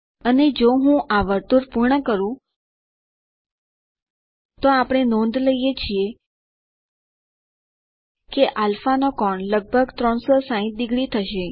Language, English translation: Gujarati, And if I complete this circle we notice that the angle of α will be almost 360 degrees